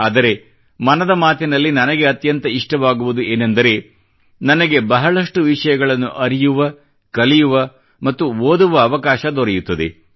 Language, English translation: Kannada, But for me the best thing that I like in 'Mann Ki Baat' is that I get to learn and read a lot